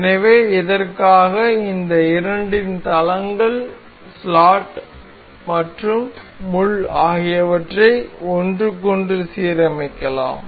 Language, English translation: Tamil, So, for this we can align the planes of these two, the the slot and the pin into one another